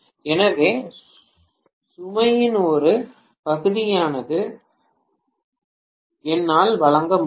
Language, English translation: Tamil, So, I would be able supply at least part of the load